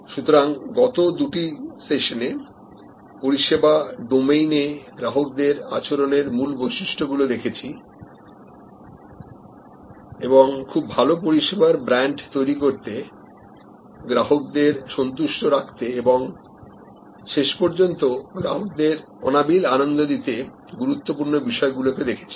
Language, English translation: Bengali, So, the last two sessions have shown as key dimensions of consumer behavior in the service domain and key factors that are important for us to build good service brands, create customers satisfaction and ultimately customer delight